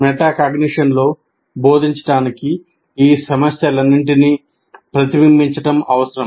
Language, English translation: Telugu, So one is the teaching with metacognition requires reflecting on all these issues